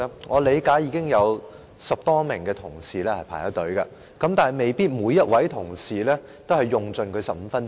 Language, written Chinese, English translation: Cantonese, 我理解有10多名同事輪候發言，但未必每位同事都會用盡15分鐘。, I understand that over 10 colleagues are waiting for their turn to speak but some colleagues may not use up all 15 minutes